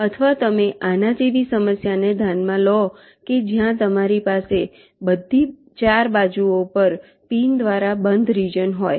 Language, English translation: Gujarati, or you consider a problem like this where you have an enclosed region by pins on all four sides